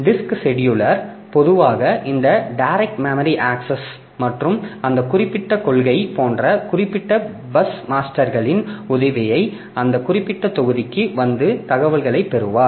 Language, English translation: Tamil, So, that way the and disk scheduler normally takes help of some other bus masters like this direct memory access and that type of policies to come to that particular block and get the information